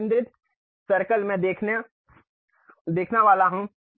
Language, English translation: Hindi, Concentric circles I am supposed to see